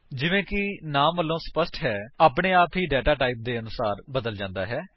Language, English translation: Punjabi, As the name goes, the value is automatically converted to suit the data type